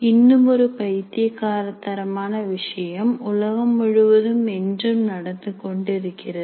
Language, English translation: Tamil, Then there is another crazy thing, which is still valid throughout the world